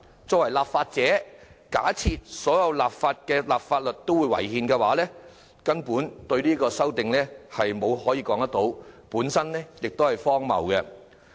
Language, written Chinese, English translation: Cantonese, 作為立法者，若假設訂立的法例違憲，卻對其提出修正案，根本說不通，也很荒謬。, It is downright implausible and ridiculous for a lawmaker to assume a piece of legislation in formulation to be unconstitutional but propose amendments to it all the same